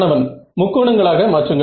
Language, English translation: Tamil, Break it into triangles